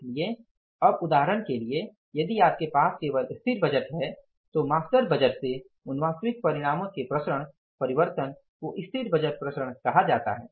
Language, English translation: Hindi, So now for example if you have the static budget only the variance variances of the actual results from the master budget are called as static budget variances